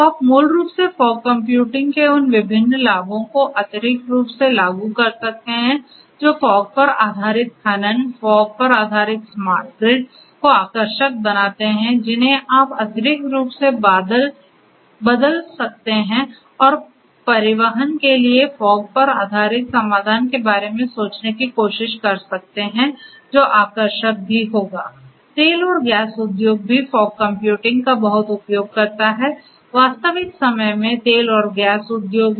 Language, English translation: Hindi, So, you can basically extrapolate those different benefits of fog computing that makes fog based mining, fog based smart grid attractive you could extrapolate those and try to you know try to think of a fog based solution for transportation which will be attractive as well